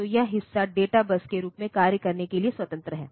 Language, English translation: Hindi, So, this part is free to act as the data bus